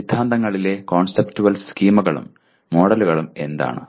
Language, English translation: Malayalam, What are conceptual schemas and models in theories